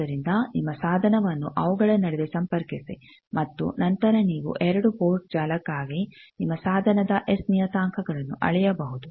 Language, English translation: Kannada, So, you connect your device between them and then you can measure your S parameters of the device for a two port network